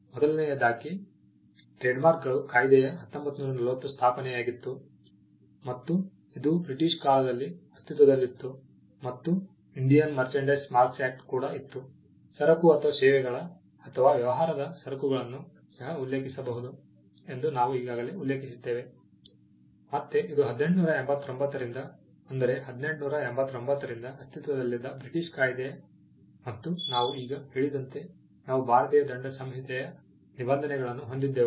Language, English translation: Kannada, First, there was the Trademarks Act, 1940 which existed during the British time and there was also an Indian Merchandise Marks Act, we had already mentioned that trade in goods or services could also refer to merchandise; which again is a British act which existed in 1889, since 1889 and as we have just mentioned we had provisions of the Indian Penal code